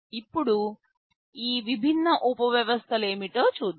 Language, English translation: Telugu, Now, let us see what these different subsystems contain